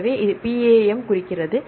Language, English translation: Tamil, So, this is P A M stands for